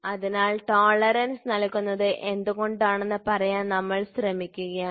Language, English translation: Malayalam, So, we are just trying to say why is tolerance given